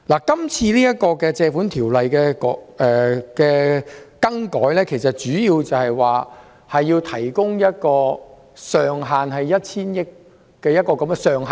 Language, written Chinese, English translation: Cantonese, 這項根據《借款條例》提出的擬議決議案，旨在提供一個 1,000 億元的上限。, The proposed resolution moved under the Loans Ordinance seeks to provide a cap of 100 billion